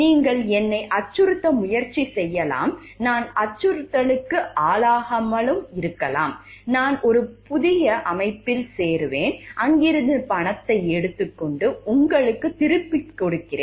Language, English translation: Tamil, You may try to threaten me, I may not get threatened, I will join a new organization, take money from there and pay you back